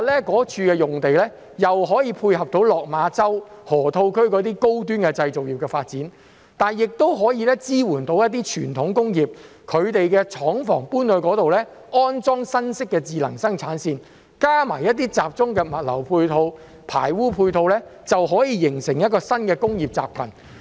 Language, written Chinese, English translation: Cantonese, 該處用地可以配合落馬洲河套區的高端製造業發展，亦可以支援一些傳統工業，讓他們把廠房遷到該處，安裝新式的智能生產線，再加上一些集中的物流、排污配套，就可以形成一個新的工業集群。, The site can complement the development of high - end manufacturing in the Lok Ma Chau Loop while providing support for some traditional industries by allowing them to relocate their factories there with new smart production lines which together with centralized logistics and sewage support can form a new industrial cluster